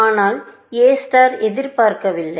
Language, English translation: Tamil, But A star has not expected